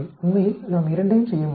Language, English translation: Tamil, We can do that both actually